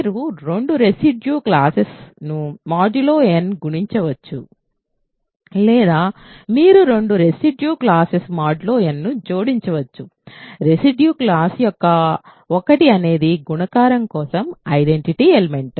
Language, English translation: Telugu, You can multiply two residue classes modulo n or you can add two residue classes modulo n, the residue class of one is the identity element for multiplication